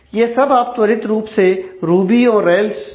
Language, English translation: Hindi, So, you can do that quickly with ruby on rails